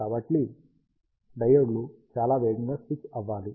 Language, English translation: Telugu, So, the diodes has to be switched very fast